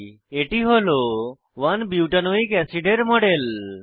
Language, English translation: Bengali, This is the model of 1 butanoic acid on screen